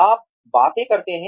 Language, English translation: Hindi, You do things